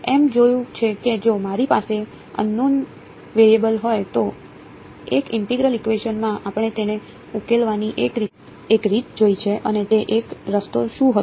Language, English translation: Gujarati, We have seen that if I have a unknown variable inside a integral equation we have seen one way of solving it and what was that one way